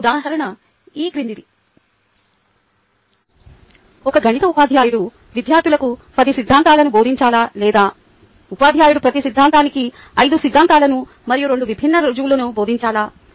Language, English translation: Telugu, an example is the following: should a maths teacher teach ten theorems to the students, or should the teacher teach five theorems and two different proofs of each theorem